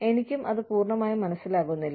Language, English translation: Malayalam, I also do not understand it fully